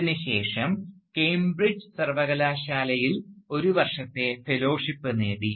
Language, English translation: Malayalam, And, this was followed by a year of fellowship at the University of Cambridge